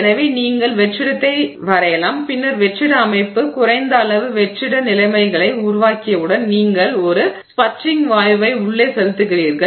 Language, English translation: Tamil, So, you draw vacuum and then once the vacuum system has developed low enough, you know, vacuum conditions you send in a sputtering gas